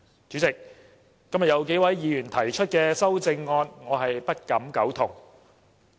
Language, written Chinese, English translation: Cantonese, 主席，今天有數位議員提出的修正案，我不敢苟同。, President I cannot agree with the amendments proposed by several Members today